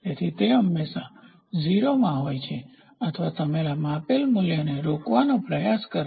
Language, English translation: Gujarati, So, it is always in 0; or you try to put a measured value